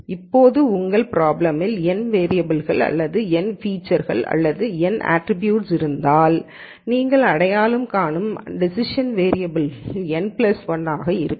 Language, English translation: Tamil, Now, if you have n variables in your problem or n features or n attributes then the number of decision variables that you are identifying are n plus 1